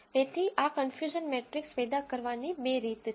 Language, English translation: Gujarati, So, there are two ways of generating this confusion matrix